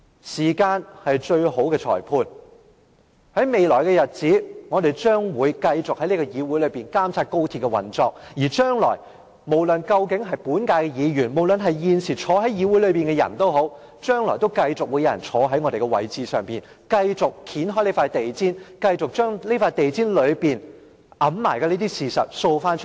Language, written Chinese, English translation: Cantonese, 時間是最好的裁判，在未來的日子，我們將繼續在議會內監察高鐵的運作，無論是本屆議員或現時坐在議會內的人，或是將來坐在我們位置上的人，都會繼續掀開這張地毯，將藏在地毯下的事掃出來。, Time is the best judge . In the days to come we will continue to monitor the operation of XRL in this Council . Members of the incumbent Council or those who will take our place in the future will continue to lift this carpet and expose the things hidden under it